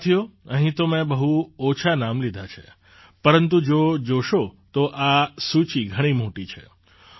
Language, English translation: Gujarati, Friends, I have mentioned just a few names here, whereas, if you see, this list is very long